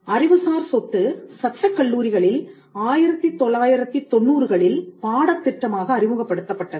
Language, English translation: Tamil, Intellectual property also was introduced as a syllabus in law schools that happened in the 1990s